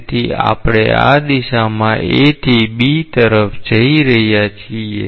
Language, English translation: Gujarati, So, we are going from A to B in this direction